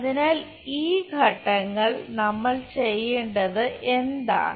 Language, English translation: Malayalam, So, this steps what we have to do